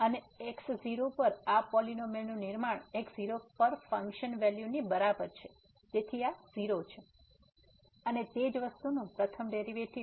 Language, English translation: Gujarati, and by construction this polynomial at is equal to the function value at so this is 0, and the first derivative the same thing